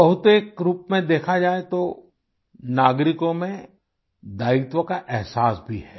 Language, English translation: Hindi, Broadly speaking in a way, there is a feeling of responsibility amongst citizens